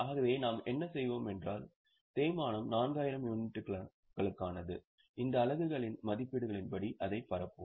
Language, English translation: Tamil, So, what we will do is the depreciation is for 4,000 units, we will spread it over as for the estimates of units